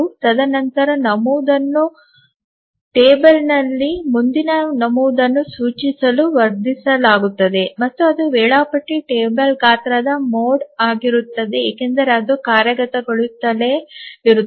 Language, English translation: Kannada, And then the entry is augmented to point to the next entry in the table and it is mod of the schedule table size because it just keeps on executing that